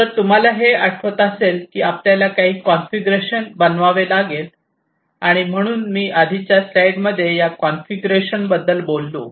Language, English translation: Marathi, And if you recall that there is some configuration that you would have to make and so I earlier in the slide I talked about this configuration